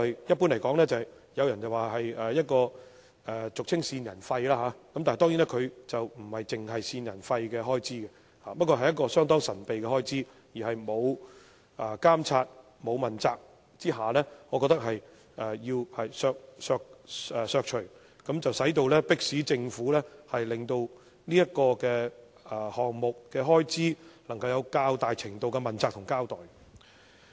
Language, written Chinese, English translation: Cantonese, 一般而言，這開支與俗稱的"線人費"有關，但它當然不止線人費，而是一項相當神秘的開支，而且缺乏監察和問責下，我覺得有需要刪除，以迫使政府令這個項目的開支能夠有較大程度的問責和交代。, Generally speaking this expenditure is related to what is commonly known as informers fees but certainly it is not limited to informers fees . In fact it is a rather mysterious expenditure . Moreover given the lack of monitoring and accountability I consider the reduction necessary to force the Government to give a clearer account of this expenditure item and a greater degree of accountability